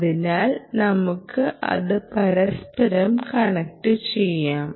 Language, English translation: Malayalam, ok, so let's connect that together